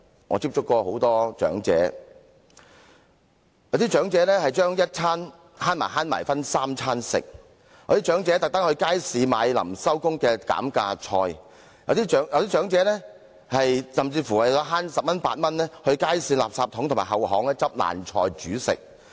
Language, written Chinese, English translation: Cantonese, 我曾接觸很多長者，有些長者要省着吃，將一餐的錢分作三餐；有些長者特地到街市購買收市前的減價菜；有些長者甚至為了節省十元八塊而到街市的垃圾桶或後巷撿爛菜煮食。, I have come across a number of elderly people . Some of them will have frugal meals so that they may afford three meals with the same amount of money . Some of them will purposely buy discounted vegetables at the markets just before the stalls close